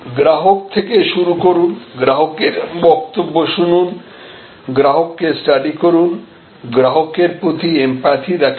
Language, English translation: Bengali, So, start with the customer, voice of the customer, study at the customer, empathy for the customer